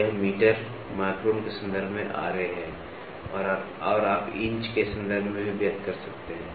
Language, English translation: Hindi, So, this is Ra in terms of meters, microns and you can also express in terms of inches